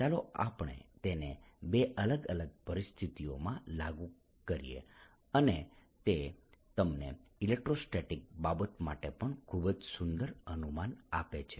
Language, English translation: Gujarati, let us now apply this in two different situation and gives you very beautiful feeling for electrostatic cases also